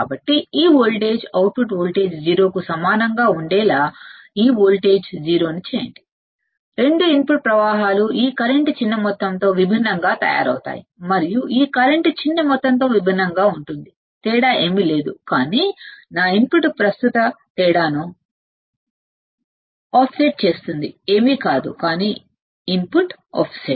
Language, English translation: Telugu, So, make this voltage 0 to make this voltage output voltage equal to 0 right the 2 input currents are made to differ by small amount this current and this current are made to different by small amount that difference is nothing, but my input offset current difference is nothing, but input offset